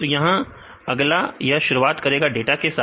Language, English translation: Hindi, So, here then in next it starts with the data